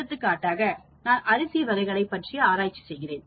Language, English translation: Tamil, For example, I am testing different types of rice